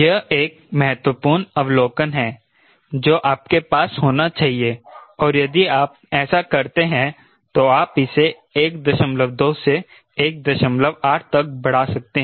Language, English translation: Hindi, that is one of the important ah observation you must have, and if you do that, you can enhance this from one point two to one point eight